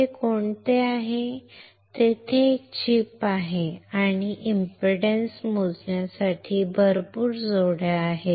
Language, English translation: Marathi, Which is this one, there is a chip and there are a lot of pairs for impedance measurement